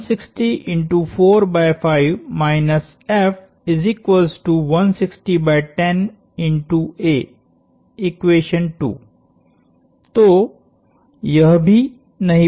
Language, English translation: Hindi, So, this also has not change